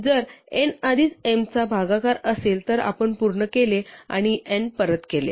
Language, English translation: Marathi, So if n is already a divisor of m, then we are done and we return n